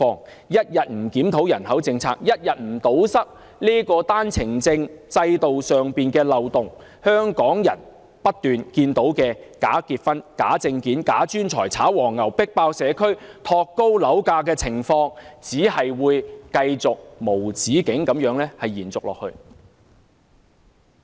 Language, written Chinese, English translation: Cantonese, 政府一天不檢討人口政策，一天不堵塞單程證制度上的漏洞，香港人便不斷會看到假結婚、假證件、假專才、炒黃牛、迫爆社區和托高樓價等情況，繼續無止境地延續。, If the Government does not review its population policy and plug the loopholes in the One - way Permit system the people of Hong Kong will see a continuous repeat of such problems as bogus marriages forged documents fake professionals ticket scalping local communities overcrowded with visitors and the pushing up of property prices